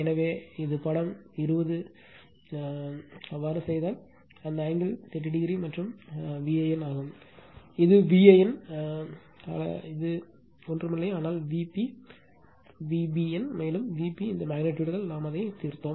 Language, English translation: Tamil, So, this is figure 20 one and if you do so, if you do so, this angle is 30 degree right and your V an, your what you call V an is nothing, but your V p V bn also V p we solved that here what we call all these magnitude